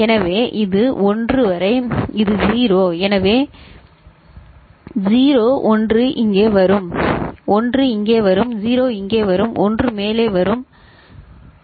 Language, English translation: Tamil, So, this 1 up to this, this is 0, 0 so 1 will come over here, 1 will come over here, 0 will come over here and 1 will come over is it ok